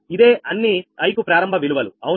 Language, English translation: Telugu, these are the initial values for all, i, right